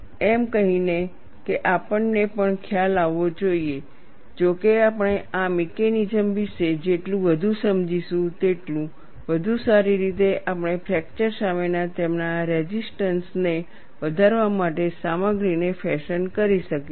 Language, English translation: Gujarati, Having said that you should also realize however, the more we understand about these mechanisms, the better we will be able to fashion materials to enhance their resistance to fracture